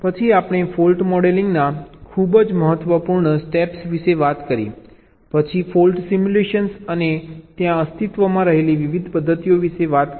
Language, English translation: Gujarati, then we talked about the very important steps of fault modeling, then fault simulation and the different methods which exist there in